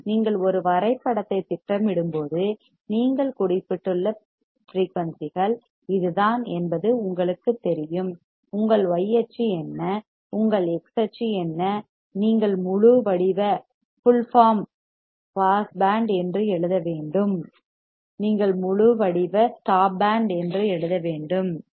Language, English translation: Tamil, Even you know it is obvious that is the frequencies still you have mention when you are plotting a graph, what is your y axis, what is your x axis you have to write full form pass band, you have to write full form stop band ok